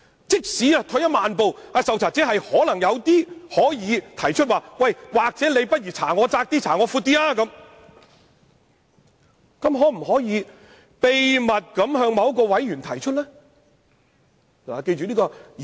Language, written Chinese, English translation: Cantonese, 即使退一萬步，受查者可要求擴大或收窄調查範圍，他又可否秘密地向某名委員提出意見呢？, Even if some concessions are made and the subject of inquiry can request to expand or narrow the scope of inquiry can he covertly convey his views to a certain member?